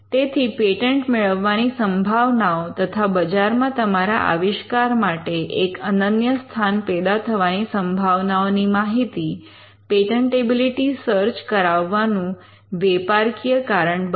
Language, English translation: Gujarati, So, the chances of obtaining a patent as well as the chances of getting an exclusive marketplace for your invention will be the commercial reasons that will come out of a patentability search